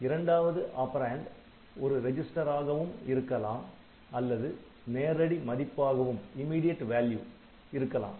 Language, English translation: Tamil, So, the first operand is register, and the second operand can be register or immediate